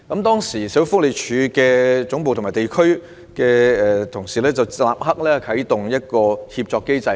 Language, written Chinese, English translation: Cantonese, 當時，社署總部和地區辦事處的同事立刻啟動協作機制。, At the time staff members in SWDs head office and district offices immediately activated a collaboration mechanism